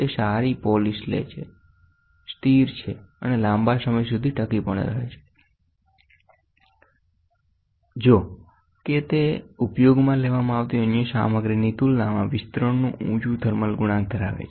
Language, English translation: Gujarati, It takes good polish is stable and last longer; however, it is higher thermal coefficient of expansion compared to the other materials limits is used